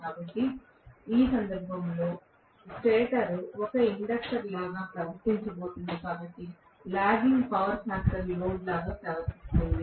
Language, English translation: Telugu, So, in which case, the stator is going to behave like an inductor so behaves like a lagging power factor load